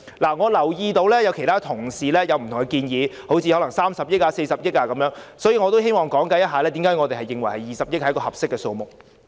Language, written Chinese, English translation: Cantonese, 我留意到其他同事對此有不同的建議，例如30億元或40億元，故此我希望解釋為何我們認為20億元是一個合適的數目。, I notice that other colleagues have different views on this . Their suggestions are for example 3 billion or 4 billion . Therefore I would like to explain why we think that 2 billion is a suitable amount